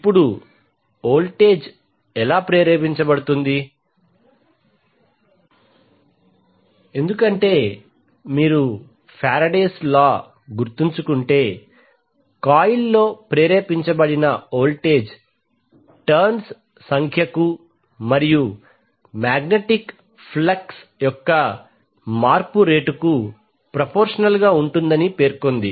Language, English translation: Telugu, Now how the voltage will be induced because if you remember the Faraday’s law it says that the voltage induced in the coil is proportional to the number of turns and the rate of change of magnetic flux